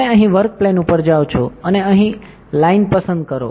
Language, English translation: Gujarati, You go here up work plane and select line here